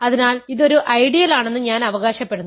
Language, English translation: Malayalam, So, claim is that this is an ideal